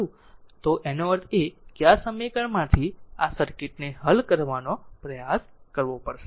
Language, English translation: Gujarati, And that means, from this equation we have to try to solve this circuit